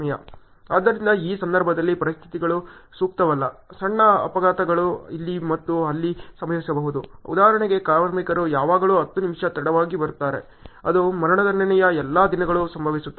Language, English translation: Kannada, So, in this case the conditions are not ideal, minor mishaps may happen here and there; for example, labors always come 10 minutes late that happens on almost on all the days of the execution